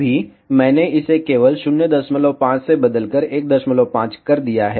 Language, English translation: Hindi, Right now, I have just changed this from 0